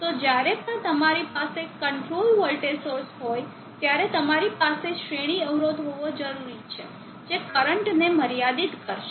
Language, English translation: Gujarati, So whenever you are having control voltage source you need to have a series impedance which will limit the current